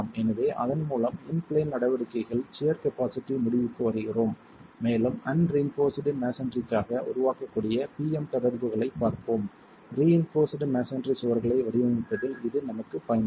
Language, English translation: Tamil, So, with that we come to the end of sheer capacity for in plain actions and we will be looking at PM interactions that can be developed for the unreinforced masonry which will be of use for us later in design of reinforced masonry walls